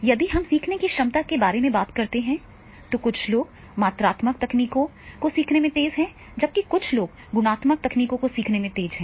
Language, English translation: Hindi, In the case of the ability to learn some people they are very fast in the learning the quantitative techniques, some people are very fast to learn into the qualitative technique